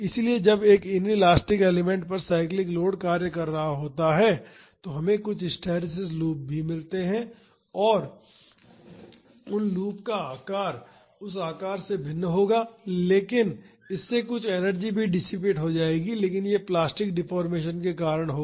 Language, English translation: Hindi, So, when a cyclic load is acting on an inelastic element, then also we get some hysteresis loops and the shape of those loops will be different from this shape, but that will also dissipate some energy, but that will be due to plastic deformation